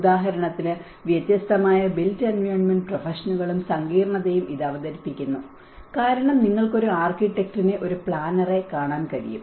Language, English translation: Malayalam, For instance, it presents the variety of different built environment professions and the complexity this presents; because you can see an architect, a planner